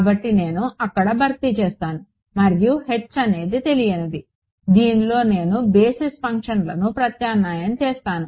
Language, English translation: Telugu, So, I will just substituted over there and H is the unknown which in which I will replace the basis functions